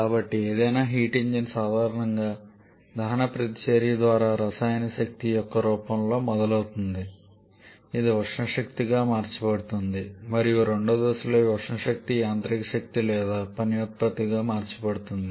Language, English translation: Telugu, So, any heat engine commonly starts with a form of chemical energy through the reaction combustion reaction it gets converted to thermal energy and in the second step this thermal energy is converted to mechanical energy or work output